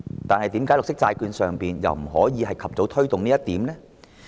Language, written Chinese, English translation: Cantonese, 但是，為何在綠色債券方面又不可以及早推動這一點呢？, Then why can this not be done with green bonds as early as possible?